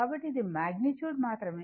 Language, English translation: Telugu, So, it is magnitude only